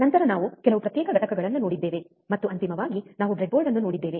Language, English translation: Kannada, Then we have seen some discrete components and finally, we have seen a breadboard